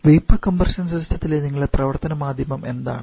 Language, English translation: Malayalam, Now in vapour compression system what is your working medium